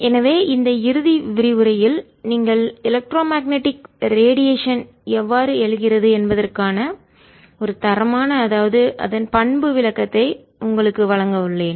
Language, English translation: Tamil, so in this final lecture i'm just going to give you a qualitative description of how you electromagnetic radiation arises